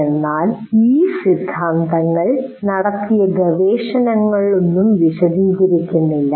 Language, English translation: Malayalam, We are not explaining all the theory and what research has been done and all that